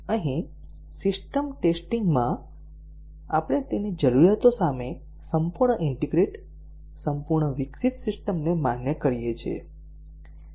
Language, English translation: Gujarati, So, here in system testing, we validate a fully integrated, a fully developed system against its requirements